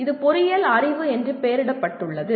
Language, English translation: Tamil, It is labelled as engineering knowledge